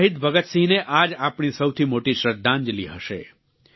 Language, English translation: Gujarati, That would be our biggest tribute to Shahid Bhagat Singh